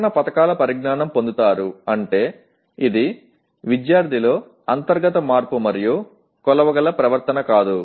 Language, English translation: Telugu, Will get knowledge of protection schemes means it is internal change in a student and not a behavior that can be measured